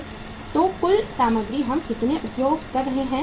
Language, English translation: Hindi, So how much is the total material we are using